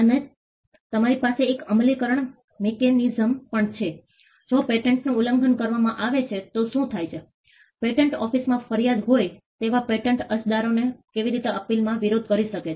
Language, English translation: Gujarati, And you also have an enforcement mechanism, what happens if the patent is infringed, how can patent applicants who have a grievance at the patent office agitated in appeal